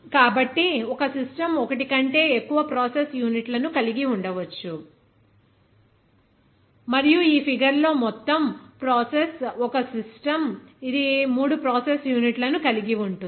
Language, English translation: Telugu, So, that is why a system may contain more than one process unit also, and in this figure, the entire process is a system, which consists of 3 process units